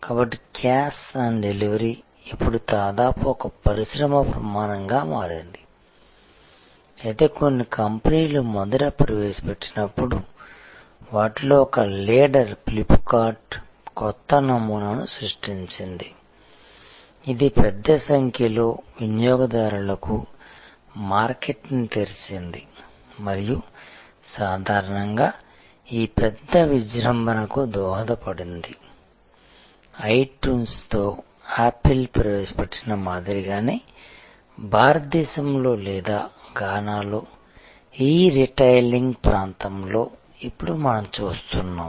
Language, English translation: Telugu, So, the cash on delivery has now become almost an industry standard, but when first introduced by some companies, one of them leader Flip kart created a new paradigm opened up the market to a large number of customers and generally contributed to this big boom that we see now in the area of E retailing in India or Gaana, kind of model same as what Apple introduced with itune